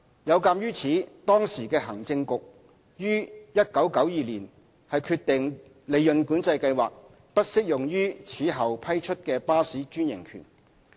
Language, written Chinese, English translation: Cantonese, 有鑒於此，當時的行政局於1992年決定利潤管制計劃不適用於此後批出的巴士專營權。, In view of this the then Executive Council decided in 1992 that PCS would not be applicable to new bus franchises granted thereafter